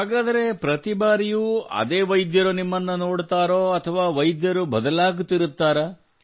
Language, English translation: Kannada, So every time is it the same doctor that sees you or the doctors keep changing